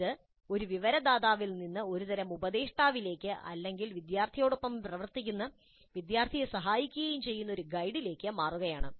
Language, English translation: Malayalam, So it shifts from an information provider to a kind of a mentor or a kind of a guide who works along with the student and helps the student